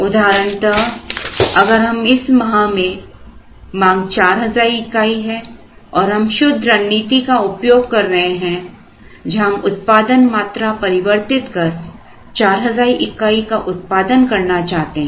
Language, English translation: Hindi, For example, in this month the demand is 4,000, now if we are following a pure strategy where we vary the workforce and we want to produce a 4,000 here